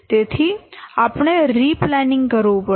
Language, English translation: Gujarati, We have to do re planning